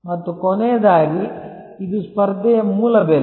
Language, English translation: Kannada, And lastly, this is the competition base pricing